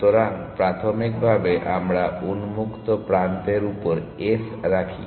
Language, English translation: Bengali, So, initially we put s on to open